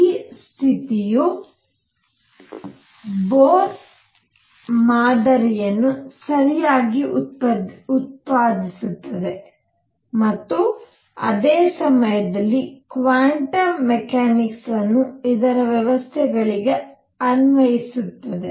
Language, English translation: Kannada, This condition is such that it correctly it produces Bohr model at the same time makes quantum mechanics applicable to other systems